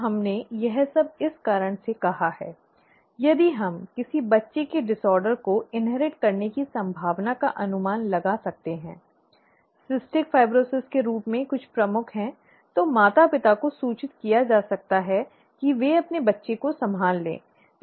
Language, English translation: Hindi, Now, we said all this for this reason: if we can predict a child's chances to inherit a disorder, okay, something as major as cystic fibrosis, the parents can be informed to handle it in their child, okay